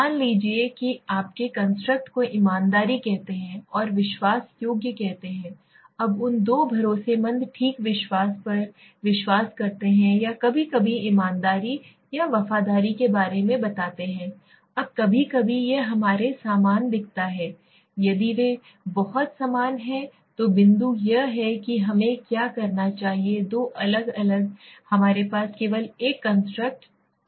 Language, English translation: Hindi, Suppose your construct is let s say honesty and let s say trust worthy, now those two trustworthy okay trust let s say or sometimes honesty or loyalty let s say, now sometimes it looks at to similar to us, if they are very similar then point is why should we have two different constructs we can have only one constructs